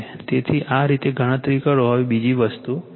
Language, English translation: Gujarati, So, this is how calculate now another thing is